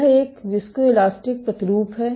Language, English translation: Hindi, This is a viscoelastic sample